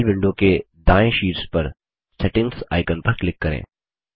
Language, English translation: Hindi, Click on the Settings icon on the top right of the Gmail window